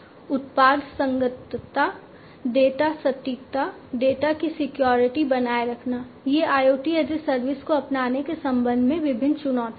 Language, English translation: Hindi, Product compatibility, maintaining data accuracy, security of data, you know, these are different challenges with respect to the adoption of IoT as a service